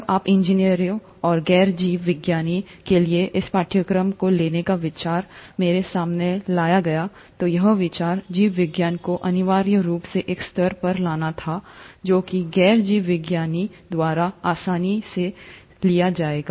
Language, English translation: Hindi, Now when this idea of taking this course for engineers and non biologists was brought up to me, the idea was to essentially bring in biology, teaching biology at a level which will be easily taken up by the non biologists